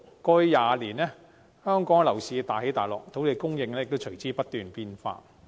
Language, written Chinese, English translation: Cantonese, 過去20年，香港樓市大起大落，土地供應亦隨之不斷變化。, Over the past 20 years drastic fluctuations in the property market of Hong Kong have been followed by constant changes in land supply